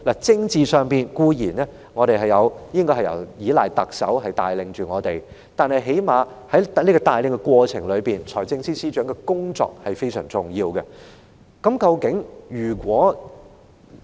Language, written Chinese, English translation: Cantonese, 政治上，固然我們應該依賴特首帶領我們，但是，在特首帶領的過程中，財政司司長的工作也非常重要的。, On the political front it is beyond doubt that we should rely on the Chief Executives leadership but FSs work is also very important under her leadership